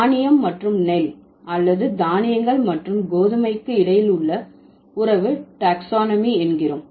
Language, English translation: Tamil, So there are different, so the relation between grain and paddy or grains and wheat, these are the taxonomic relation